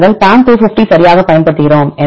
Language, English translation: Tamil, We use PAM 250 right